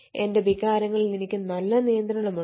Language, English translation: Malayalam, i have a good understand of my own feelings